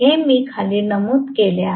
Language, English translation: Marathi, These I have noted down